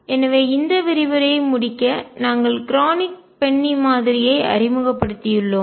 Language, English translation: Tamil, So, to conclude this lecture we have introduced Kronig Penney Model